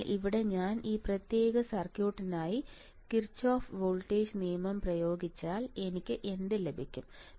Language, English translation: Malayalam, So, here if I apply Kirchhoff voltage law for this particular circuit what will I have